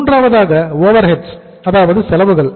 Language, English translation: Tamil, So and third is overheads